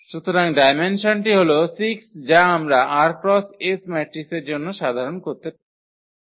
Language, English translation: Bengali, So, the dimension is 6 which we can generalize for r by s matrices also the idea is same